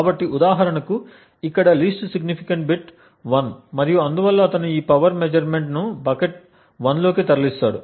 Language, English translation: Telugu, So, for example over here the least significant bit is 1 and therefore he would move this power measurement into the bucket 1